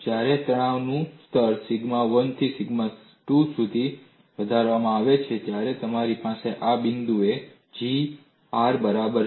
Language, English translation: Gujarati, When the stress level is increased from sigma 1 to sigma 2, you have at this point, G equal to R